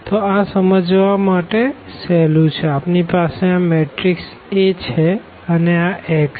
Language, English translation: Gujarati, So, this is easy to understand so, we have this matrix A and this x